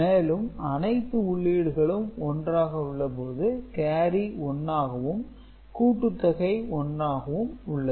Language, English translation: Tamil, And, when all of them are 1 then carry is 1 and this output is also 1